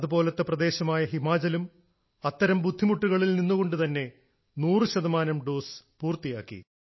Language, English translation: Malayalam, Similarly, Himachal too has completed the task of centpercent doses amid such difficulties